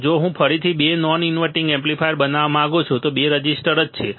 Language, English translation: Gujarati, If I want to make two non inverting amplifier again two resistors and that is it